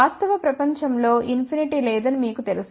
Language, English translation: Telugu, And you know that infinity does not exist in the real world